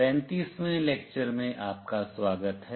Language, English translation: Hindi, Welcome to lecture 35